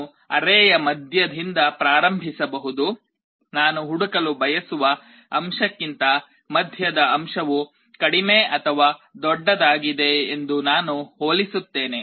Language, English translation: Kannada, I can start with the middle of the array; I compare whether the middle element is less than or greater than the element I want to search